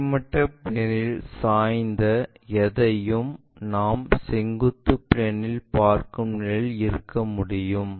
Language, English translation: Tamil, Anything inclined to horizontal plane we can be in a position to see it in the vertical plane